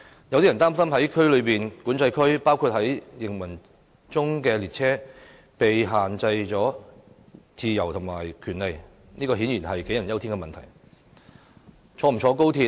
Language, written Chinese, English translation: Cantonese, 有人擔心在內地口岸區，包括在行駛中的列車內，港人的自由和權利受到限制，這顯然是杞人憂天。, Some people worry that in the Mainland Port Area including in the train in motion Hong Kong peoples freedom and rights will be restricted . Such a worry is obviously unwarranted